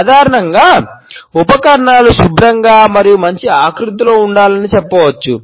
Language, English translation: Telugu, In general it can be said that accessories need to be clean and in good shape